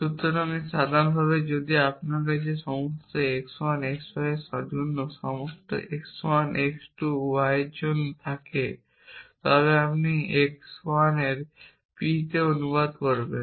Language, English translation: Bengali, So, this so in general off course if you have for all x 1 for all x 2 for all x n p x 1 x 2 y then you will translated to p of x 1